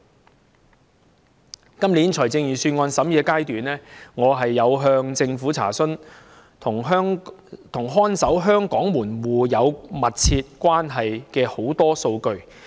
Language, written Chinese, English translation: Cantonese, 在今年財政預算案的審議階段，我曾向政府查詢多項與看守香港門戶有密切關係的數據。, During the scrutiny of this years Budget I enquired of the Government about a number of figures which are closely related to Hong Kongs gatekeeper